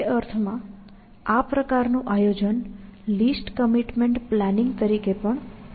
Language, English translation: Gujarati, So, in that sense, this kind of planning is also known as least commitment planning